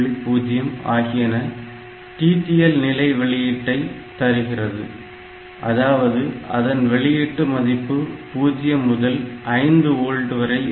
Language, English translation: Tamil, So, TTL level output means; so, this signal values are in the range of 0 to 5 volt